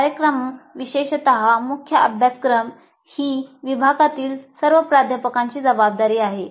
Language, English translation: Marathi, And the program, especially the core courses, is the responsibility for all faculty in the department